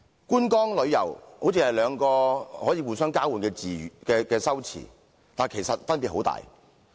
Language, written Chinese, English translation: Cantonese, "觀光"、"旅遊"好像是兩個可以互相交換的詞語，但其實分別十分大。, The words sightseeing and tourism seem to be interchangeable but there are actually great differences between them